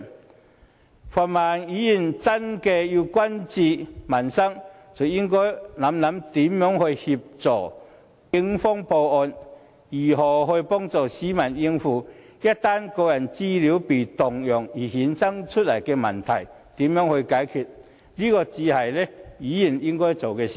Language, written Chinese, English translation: Cantonese, 如果泛民議員真的關注民生，便應思考如何協助警方破案，如何幫助市民應對一旦個人資料被盜用而衍生出來的問題，這才是議員應做的事。, If pan - democratic Members truly care about the peoples livelihood they should focus their mind on assisting the Police to solve the case as well as on helping the public to deal with any problems arising from any misuses of their personal data . This is what a legislator should do